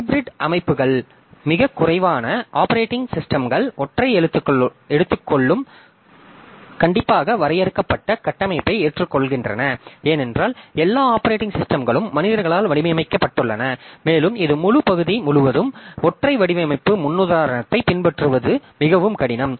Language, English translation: Tamil, There are hybrid systems, very few operating systems adopt a single strictly defined structure because after all operating system is designed by human being and this it is very difficult to follow a single design paradigm throughout the entire part